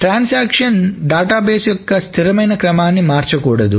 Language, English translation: Telugu, So the transactions should not change the consistent order of a database